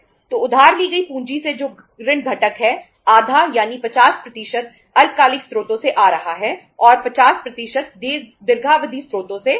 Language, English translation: Hindi, So from the borrowed capital which is a debt component half is coming 50% is coming from the short term sources and 50% is coming from the long term sources